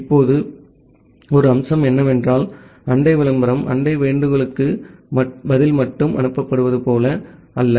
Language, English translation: Tamil, Now, one feature is that, it is not like that neighbor advertisement are only send as a response to neighbor solicitation